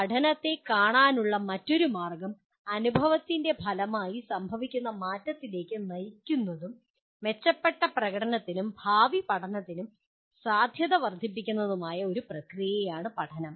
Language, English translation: Malayalam, Then another way of looking at learning is, learning is a process that leads to change which occurs as a result of experience and increases the potential for improved performance and future learning